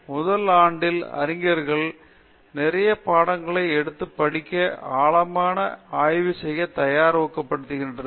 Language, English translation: Tamil, In the first year, we are encouraging scholars to take a lot of course and prepare themselves a research rather than deep dive itself